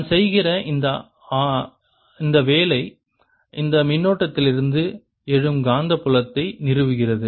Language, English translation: Tamil, and that work that i am doing goes into establishing the magnetic field which arises out of this current